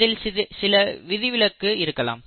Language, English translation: Tamil, But they are exceptions